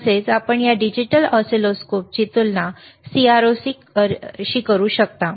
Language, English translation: Marathi, Also, when you compare when you compare this digital oscilloscope with the with the CRO